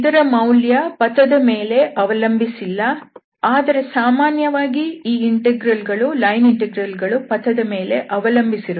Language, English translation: Kannada, So this value does not depend on path, but in general, we will see also later that these line integral depends on the path